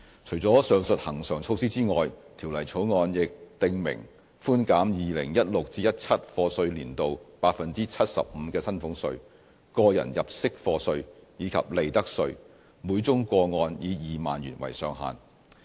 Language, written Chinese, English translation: Cantonese, 除了上述恆常措施外，《條例草案》亦訂明寬減 2016-2017 課稅年度 75% 的薪俸稅、個人入息課稅及利得稅，每宗個案以2萬元為上限。, Apart from the said regular measures the Bill also stipulates a reduction of salaries tax tax under personal assessment and profits tax by 75 % for the year of assessment 2016 - 2017 subject to a ceiling of 20,000 per case